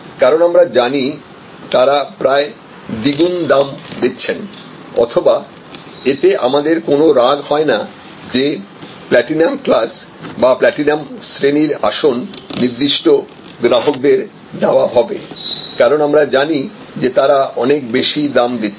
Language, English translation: Bengali, Because, we know they are paying almost double the price or we do not grudge, that the platinum class of customers or the platinum class of seats are given to certain customers, we do not, because we know that they are paying much higher